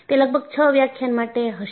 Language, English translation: Gujarati, And, that will be for about six lectures